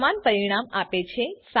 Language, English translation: Gujarati, It gives the same result